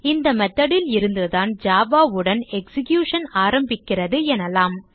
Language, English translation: Tamil, In other words the method from which execution starts with java